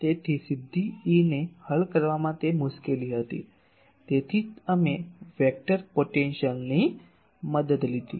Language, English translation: Gujarati, So, that was the difficulty in solving E directly that is why we took the help of the vector potential